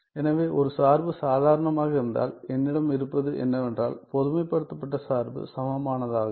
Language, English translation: Tamil, So, if a function is ordinary then what I have is that the generalized the generalized function equivalent